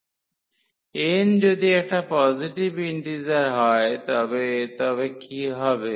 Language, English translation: Bengali, If n is a positive integer if n is a positive integer, what will happen